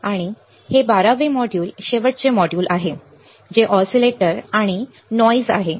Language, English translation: Marathi, And this module is a last model for our class 12, which is oscillators and noise right